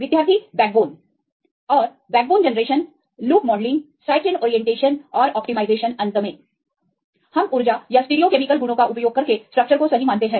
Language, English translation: Hindi, And backbone generation loop modelling side chain orientations and the optimization right finally, we validate the structure right using the energy or the stereochemical properties